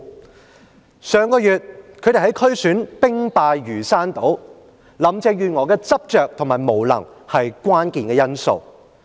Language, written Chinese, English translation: Cantonese, 保皇黨在上月的區選兵敗如山倒，林鄭月娥的執着和無能，是關鍵因素。, The royalists suffered heavy defeat in last months District Council Election the obduracy and incompetence of Carrie LAM were the key factors contributing to the defeat